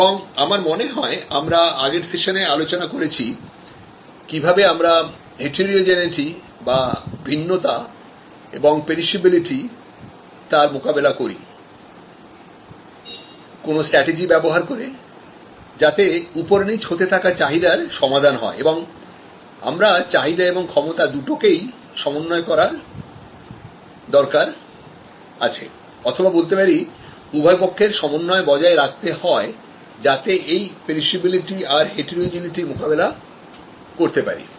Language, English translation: Bengali, And I think in the last session we have discussed that how we can tackle heterogeneity and perishability by using strategies to cope with fluctuating demand and we need to adjust demand and capacity or rather both side balancing management to tackle this heterogeneity and perishability